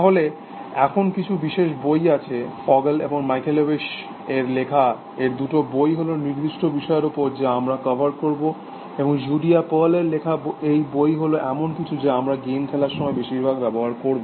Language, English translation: Bengali, Then there are certain specialized books, so these two books by Fogel and Michalewicz is on certain aspects that we will cover, and this book by Judea pearl is something we will use while game playing essentially